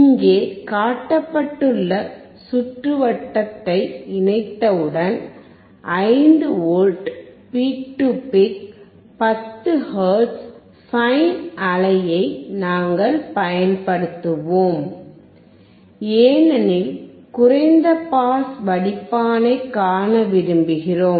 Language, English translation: Tamil, Once we connect the circuit shown here, we will apply a 5V peak to peak sine wave at 10 hertz because we want to see low pass filter